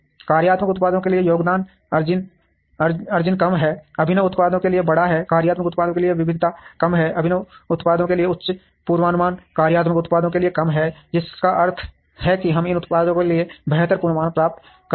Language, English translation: Hindi, Contribution margins are lower for functional products, larger for innovative products, variety is low for functional products, high for innovative products forecast errors are lower for functional products, which means we get better forecast for these products